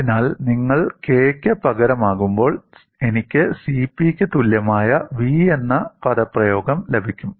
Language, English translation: Malayalam, So, when you substitute for k, I would get the expression v equal to C P